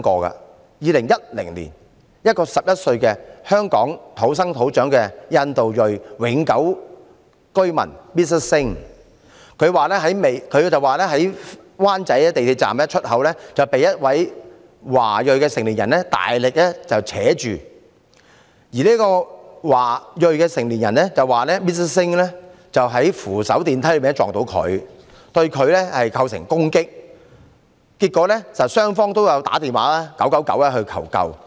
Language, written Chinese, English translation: Cantonese, 在2010年，一名11歲在香港土生土長的印度裔永久居民 Mr SINGH 表示，在灣仔港鐵站出口被一名華裔成年人大力拉扯，而這名華裔成年人卻表示 ，Mr SINGH 在扶手電梯上碰到他，對他構成攻擊，結果雙方均致電999求救。, In 2010 Mr SINGH an 11 - year - old boy born and raised in Hong Kong who is a permanent resident of Hong Kong of Indian ethnicity said that he was roughly grabbed by a Chinese adult outside an exit of Wan Chai MTR Station . The adult said that Mr SINGH bumped into her on the escalator which amounted to an assault . Finally both of them called 999 for assistance